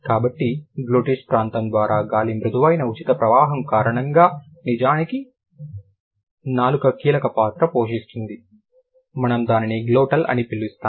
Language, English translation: Telugu, So, because of the extreme kind of very smooth free flow of the air through the glottis area where the tongue is actually playing a vital role, we call it glottal